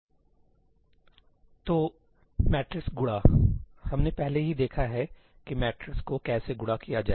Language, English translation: Hindi, So, matrix multiply we have already seen how to do matrix multiply